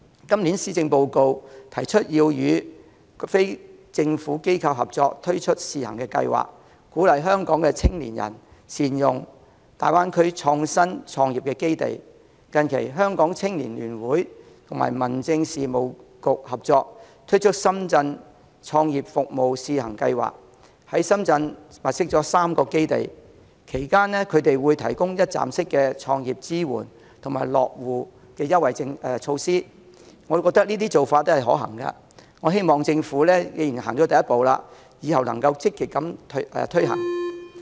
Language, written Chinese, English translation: Cantonese, 今年的施政報告提出要與非政府機構合作推出試行計劃，鼓勵香港青年人善用大灣區創新創業基地，近期香港青年聯會與民政事務局合作，推出"深圳創業服務試行計劃"，在深圳物色了3個基地，提供一站式的創業支援及落戶優惠措施，我們認為這些是可行的做法，既然政府已走出第一步，希望往後積極推行。, The Hong Kong United Youth Association has recently launched a pilot scheme jointly with the Home Affairs Bureau to take forward young entrepreneurship in the Greater Bay Area . Under the scheme three bases in Shenzhen will be located to provide one - stop entrepreneurial support and preferential policies for young entrepreneurs to settle in Shenzhen . We hold that these are feasible approaches